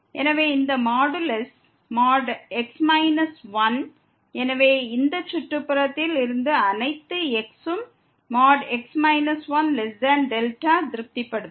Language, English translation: Tamil, So, this modulus minus 1; so, all from this neighborhood satisfies that minus 1 less than delta